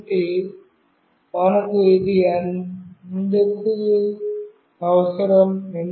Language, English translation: Telugu, So, why we are requiring this